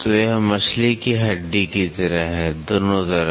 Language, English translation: Hindi, So, this is like a fish bone right on both sides